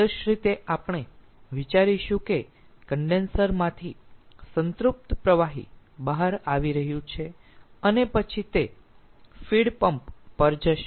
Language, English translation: Gujarati, ideally we will think that saturated liquid is coming out of the condenser and in the ah